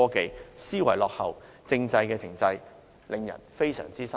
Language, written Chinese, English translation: Cantonese, 政府思維落後，制度亦停滯，令人非常失望。, The Governments outdated mindset and the stagnant development in the system are really disappointing